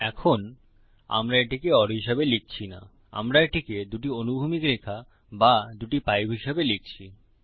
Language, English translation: Bengali, Now we dont write it as or we write it as two horizontal lines or two pipes